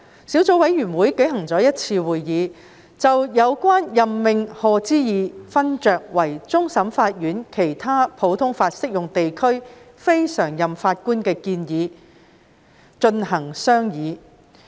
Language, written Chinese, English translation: Cantonese, 小組委員會舉行了1次會議，就有關任命賀知義勳爵為終審法院其他普通法適用地區非常任法官的建議進行商議。, The Subcommittee held one meeting to deliberate on the proposed appointment of the Right Honourable Lord Patrick HODGE Lord HODGE as a non - permanent judge from other common law jurisdiction CLNPJ of the Court of Final Appeal CFA